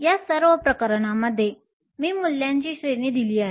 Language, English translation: Marathi, In all of these cases I have given a range of values